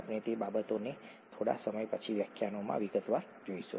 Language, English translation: Gujarati, We will look at that in in some detail later in the lectures